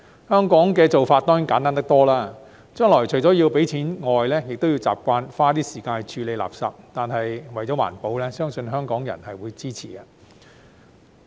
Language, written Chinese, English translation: Cantonese, 香港的做法當然簡單得多，將來除了要繳費外，亦要習慣花時間處理垃圾，但為了環保，相信香港人會支持。, Though the arrangement in Hong Kong will be much simpler the public still need to get used to spending time on handling waste in addition to paying waste charges . Yet I believe the people of Hong Kong will support this for the sake of environmental protection